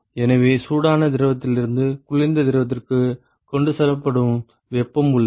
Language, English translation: Tamil, So, there is heat that is transported from the hot fluid to the cold fluid